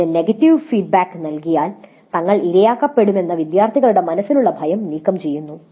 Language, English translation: Malayalam, Students may fear that they would be victimized if they give negative feedback